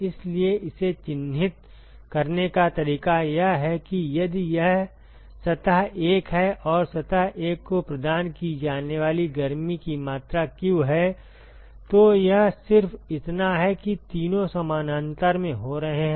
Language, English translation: Hindi, So, the way to characterize this is supposing if this is surface 1 and the amount of heat that is provided to surface 1 is q, then it is just that all three are happening in parallel